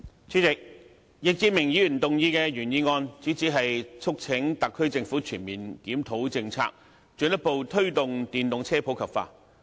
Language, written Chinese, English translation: Cantonese, 主席，易志明議員提出的原議案，主旨是促請特區政府全面檢討政策，進一步推動電動車普及化。, President the original motion moved by Mr Frankie YICK seeks to urge the Government to comprehensively review its policy and further promote the popularization of electric vehicles EVs